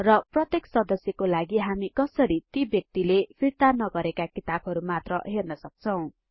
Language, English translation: Nepali, And for each member, how can we see only those books that have not yet been returned by that member